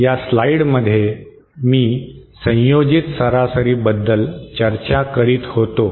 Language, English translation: Marathi, This slide I was discussing about an ensemble average